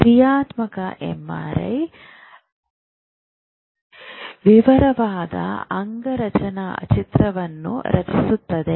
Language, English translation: Kannada, Functional MRI creates a very detailed anatomical pictures provided by MRI